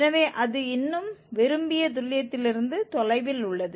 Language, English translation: Tamil, 46 so it is still far from the desired accuracy